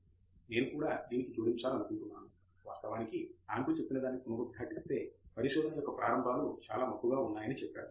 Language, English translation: Telugu, Yes, Exactly I would also like to add that, in fact reiterate what Andrew just said that the beginnings of research are quite hazy